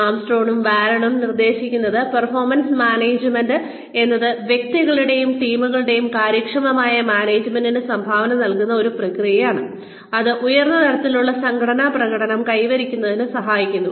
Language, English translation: Malayalam, Armstrong and Baron propose that, performance management is a process, which contributes to the effective management of individuals and teams, in order to achieve, high levels of organizational performance